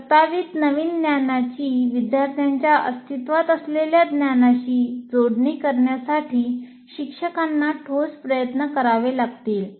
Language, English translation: Marathi, So a teacher will have to make a very strong attempt to link the proposed new knowledge to the existing knowledge of the students